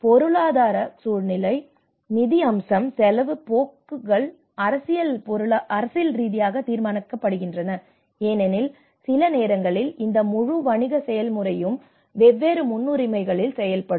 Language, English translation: Tamil, And the economic context, the financial aspect, the expenditure trends, the politically which are politically determined because sometimes this whole business process will works in a different priorities